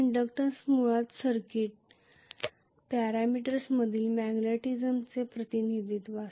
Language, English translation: Marathi, So the inductance is basically the representation of the magnetism in circuit parameters